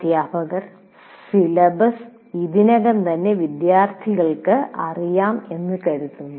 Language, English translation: Malayalam, The syllabus is already known to the students